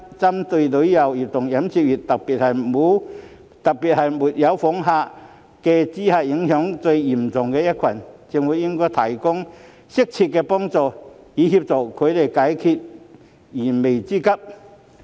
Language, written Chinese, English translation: Cantonese, 針對旅遊業和飲食業界，特別是因沒有訪港旅客而受到最嚴重影響的一群，政府應提供適切協助，以助他們解決燃眉之急。, For the tourism and catering industries especially those hardest hit by the absence of visitor arrivals the Government should provide appropriate assistance to meet their urgent needs